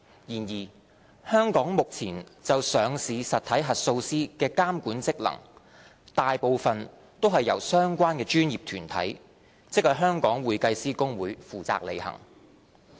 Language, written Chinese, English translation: Cantonese, 然而，香港目前就上市實體核數師的監管職能，大部分均由相關的專業團體，即香港會計師公會負責履行。, However at present regulatory functions with regard to auditors of listed entities in Hong Kong are primarily performed by the relevant professional body namely the Hong Kong Institute of Certified Public Accountants